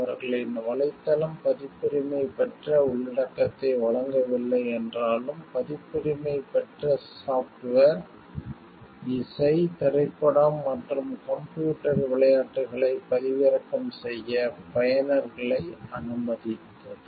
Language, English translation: Tamil, Although their website did not host the copyrighted material, it allowed users to download copyrighted software, music, movies and computer games without paying for it